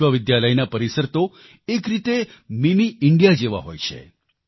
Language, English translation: Gujarati, University campuses in a way are like Mini India